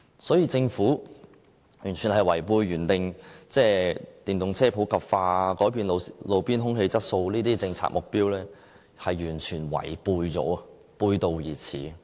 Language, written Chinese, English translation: Cantonese, 所以政府完全違背了原訂電動車普及化、改善路邊空氣質素等政策目標，是完全違背了，背道而馳。, The Governments wavier cut totally runs against its policy objectives of promoting the wider use of electric vehicles and improving roadside air quality . This policy is retrogressive defeating the objective of curbing the growth of private vehicles